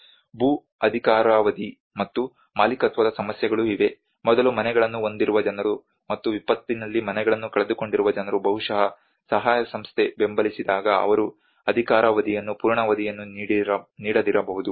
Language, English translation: Kannada, Also there are issues of land tenure and ownership, the people who are having houses before and but who have lost their houses in the disaster maybe when the aid agency support they may not give the tenure full tenure